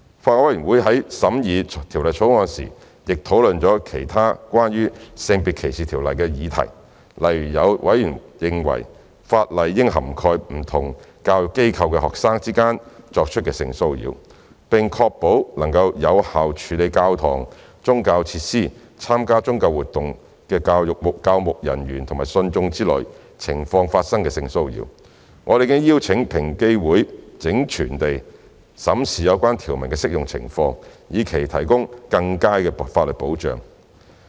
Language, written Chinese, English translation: Cantonese, 法案委員會在審議《條例草案》時亦討論了其他關於《性別歧視條例》的議題，例如有委員認為法例應涵蓋不同教育機構的學生之間作出的性騷擾，並確保能有效處理教堂、宗教設施、參加宗教活動的教牧人員和信眾之間發生的性騷擾，我們已邀請平機會整全地審視有關條文的適用情況，以期提供更佳的法律保障。, The Bills Committee also discussed other issues relating to SDO during the scrutiny of the Bill . For example some members considered that SDO should cover sexual harassment between students from different educational establishments and effectively address sexual harassment between pastoral staff and congregation participating in religious activities in churches and religious facilities . In order to improve the statutory protection we have invited EOC to review the application of the relevant provisions in a holistic approach